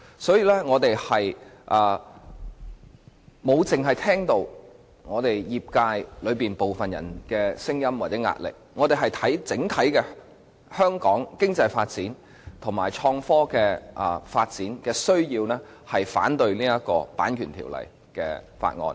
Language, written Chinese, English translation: Cantonese, 所以，我們沒有只聽取部分業界的聲音或壓力，我們着眼整體香港經濟發展及創科發展的需要，故此反對《條例草案》。, Hence we did not merely listen to the views of some members of our sectors or yield to their pressure . We focused on the needs of the overall development of Hong Kong economy and innovation and technology . For this reason we opposed the Bill